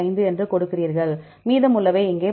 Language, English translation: Tamil, 5, the rest we have put here this is 12